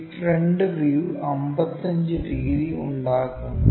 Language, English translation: Malayalam, And, this front view makes 55 degrees